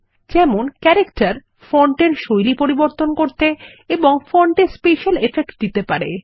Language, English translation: Bengali, You can format text for Character, that is change font styles and give special effects to fonts